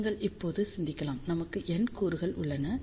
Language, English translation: Tamil, So, you can see that there are N elements